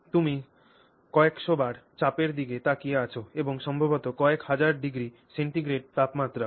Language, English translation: Bengali, You are looking at a few hundred bar of pressure and maybe even a few thousand degrees of centigrade of temperature